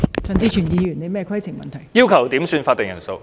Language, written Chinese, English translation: Cantonese, 陳志全議員要求點算法定人數。, Mr CHAN Chi - chuen requested a headcount